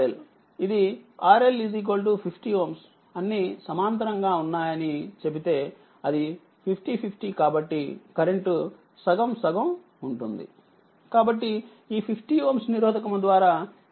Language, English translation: Telugu, If we say it is R L is equal to 50 ohm say all are in parallel, and it is 50 50, so current will be half half, so that means, through this 50 ohm resistance, it will be 1